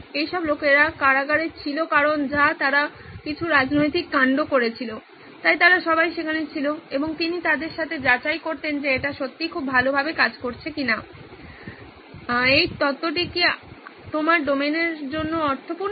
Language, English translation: Bengali, All these guys were there in prison because of some political something that they had done, so they were all there and he would go and check with them that is this really working out very well, is this theory does this make sense for your domain